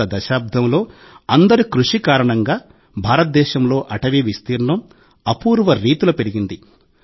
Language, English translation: Telugu, During the last decade, through collective efforts, there has been an unprecedented expansion of forest area in India